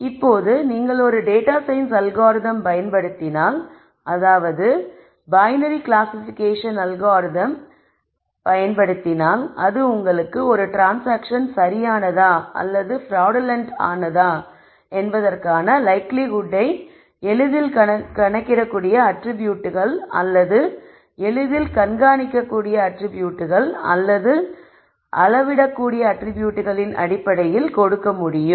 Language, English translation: Tamil, Now, if you use a data science algorithm a binary classification algorithm to be able to give the likelihood of a transaction being correct or fraudulent based on this easily calculatable attributes or easily monitorable or measurable attributes